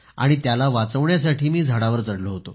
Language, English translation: Marathi, So I climbed the tree to save it